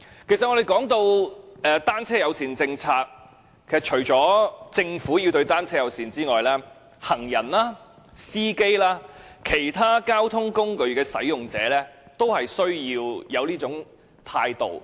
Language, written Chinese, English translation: Cantonese, 其實，我們談到單車友善政策，除了政府要對單車友善之外，行人、司機及其他交通工具使用者，亦需要有這種態度。, As a matter of fact when talking about a bicycle - friendly policy other than the Government being friendly to bicycles pedestrians drivers and other users of public transport also need to adopt this attitude